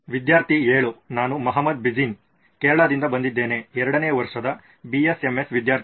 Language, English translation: Kannada, I am Mohammed Jibin from Kerala also 2nd year BSMS student